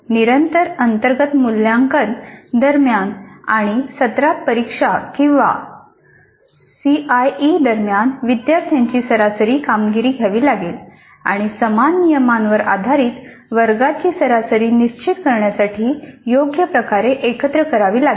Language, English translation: Marathi, We have to take the average performance of the students during the internal evaluation or continuous internal evaluation or CIE and during the semester and examination or ACE and combine them appropriately based on the university regulations to determine the class average